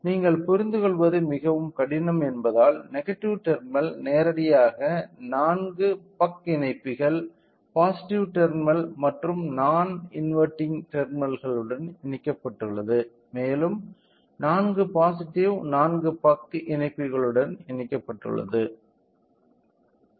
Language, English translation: Tamil, So, since it is very difficult to understand you know the configurations directly the negative terminal has been connected with a 4 buck connectors, positive terminal, non inverting terminal also being provided with a 4 positive 4 buck connectors